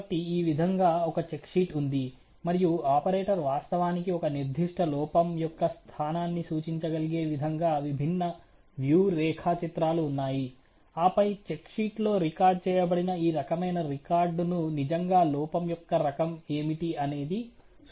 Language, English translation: Telugu, So, there is a check sheet like this, and there are different views and the operator can actually represent the location of a particular defect, and then you know give that this kind of a record what is really the type of the defect which is recorded on the check sheet